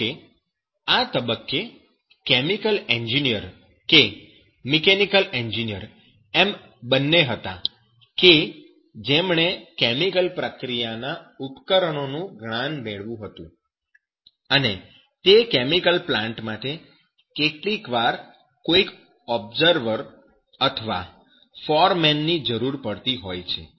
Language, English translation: Gujarati, However, the chemical engineer at this stage that was both a mechanical engineer who had gains some knowledge of chemical process equipment and also the chemical plant sometimes required some the observer or foreman